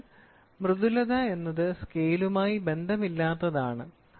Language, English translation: Malayalam, So, softness is something like get relate to scale